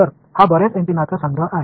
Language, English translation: Marathi, So, this is a collection of many many antennas